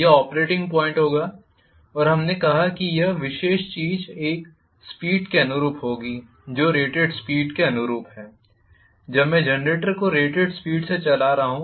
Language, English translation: Hindi, This will be the operating point and we said that this particular thing will correspond to a speed which is corresponding to rated speed, when I am driving the generator at rated speed